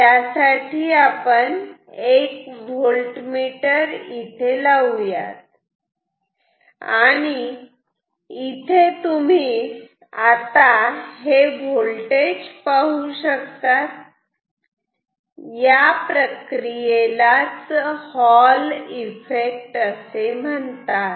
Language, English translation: Marathi, So, we will see some voltage appearing here and this phenomenon is called Hall Effect